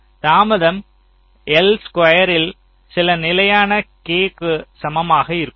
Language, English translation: Tamil, so lets say the delay is equal to some constant k into l square